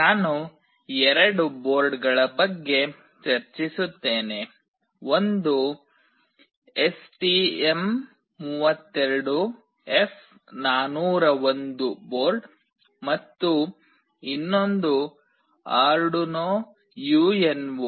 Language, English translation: Kannada, I will be discussing about two boards; one is STM32F401 board and another one is Arduino UNO